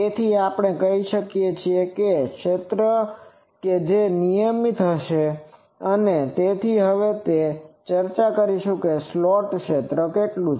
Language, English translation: Gujarati, So, we can say that the field that will be uniform and so that will now discuss that what is the slot field